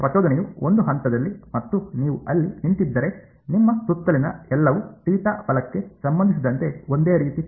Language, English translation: Kannada, If the impulse is at one point and you are standing over there everything around you looks the same with respect to theta right